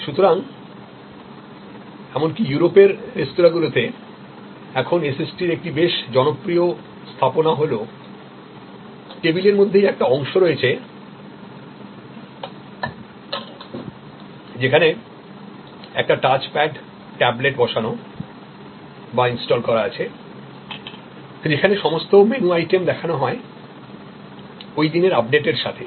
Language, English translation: Bengali, So, even in restaurants across Europe, now a quite popular deployment of SST is the table itself has a portion, where a touch pad tablet is installed, where all the different menu items are shown with a updates for the day